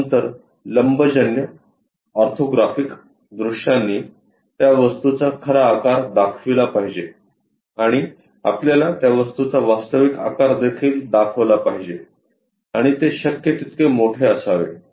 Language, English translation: Marathi, After that orthographic views should represents the true size of that object and also is supposed to show us true shape of the object and that should be as much as possible